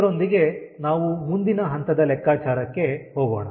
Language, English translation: Kannada, with this let us go to next stage of calculation